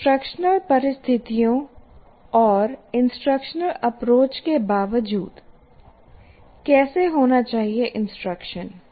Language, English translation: Hindi, Irrespective of the instructional situations and instructional approach that the what should instruction be